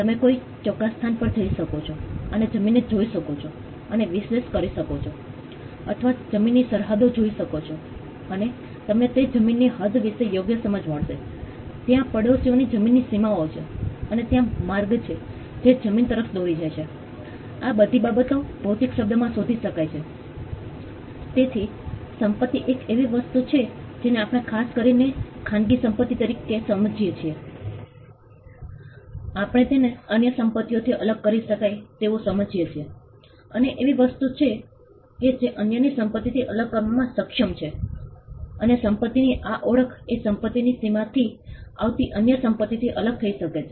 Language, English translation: Gujarati, You could go to a particular location and analyze or look at the land and see its boundaries, and you will get a fair understanding of the limits of that land; where the land what is the boundaries of the land, there are the boundaries of the neighbors land, and where it is where is the pathway that leads to the land, all these things can be ascertained in the physical word So, property is something that we understand as especially private property, we understand it as something that can be differentiated from others property, and something which is capable of being distinguished from others property and this hallmark of property that it can be distinguished from others property comes from the limits of the property